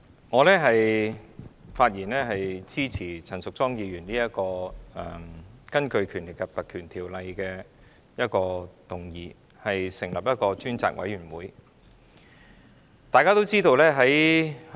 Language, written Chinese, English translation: Cantonese, 代理主席，我發言支持陳淑莊議員根據《立法會條例》動議的議案，成立一個專責委員會。, Deputy President I speak in support of Ms Tanya CHANs motion moved under the Legislative Council Ordinance for the establishment of a select committee